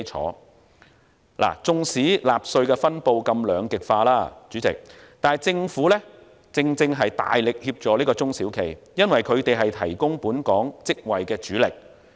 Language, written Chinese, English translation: Cantonese, 主席，縱使納稅分布如此兩極化，政府正大力協助中小企，因為他們是提供本港職位的主力。, Chairman even though the tax distribution is so polarized the Government is vigorously assisting SMEs because they are the main source of local jobs